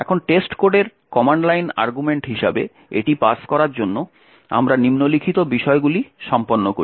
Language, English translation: Bengali, Now in order to pass this as the command line argument to test code we do the following we run test code as follows